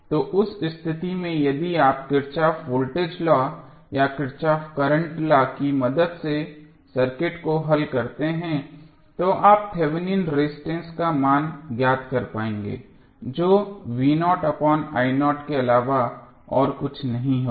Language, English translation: Hindi, So, in that case if you solve the circuit with the help of either Kirchhoff Voltage Law or Kirchhoff Current Law you will be able to find out the value of Thevenin resistance which would be nothing but v naught divided by I naught